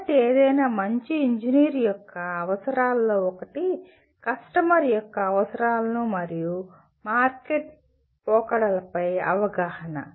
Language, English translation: Telugu, So the one of the requirements of any good engineer is that awareness of customer’s needs and market trends